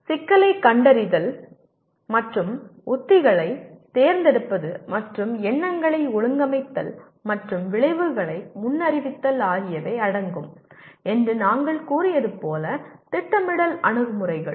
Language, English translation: Tamil, The planning approaches to task as we said that will involve identifying the problem and choosing strategies and organizing our thoughts and predicting the outcomes